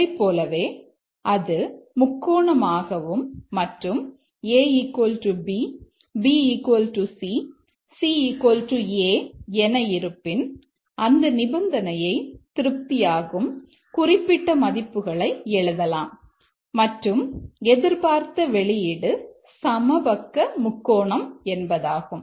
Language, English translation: Tamil, Similarly if it is a triangle and also A equal to B, B equal to C is equal to A, then we write some specific values which satisfies that condition and the expected output is equilateral